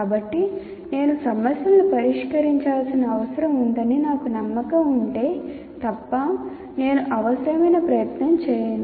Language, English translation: Telugu, So unless I am convinced that I need to solve problems, I will not put the required effort